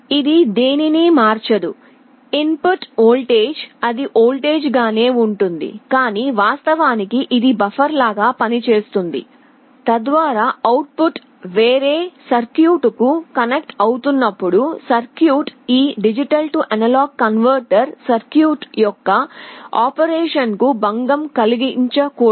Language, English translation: Telugu, It does not convert anything to anything, input is voltage it remains a voltage, but it actually acts like a buffer, so that when the output is connecting to some other circuit that circuit should not disturb the operation of this D/A converter circuit